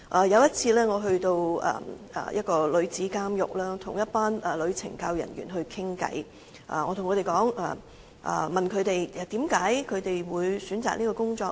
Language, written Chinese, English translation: Cantonese, 有一次，我探訪女子監獄時跟一群女懲教人員傾談，我問她們為何會選擇這份工作。, Last time when I visited a female prison I have a chat with some female CSD staff . I ask them why they have chosen the job as prison wardens